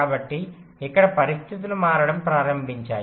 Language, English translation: Telugu, so here the situations started to change